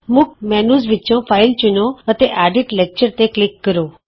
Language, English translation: Punjabi, From the Main menu, select File, and click Edit Lecture